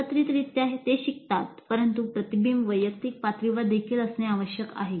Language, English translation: Marathi, Collectively they learn but this reflection must occur at individual level also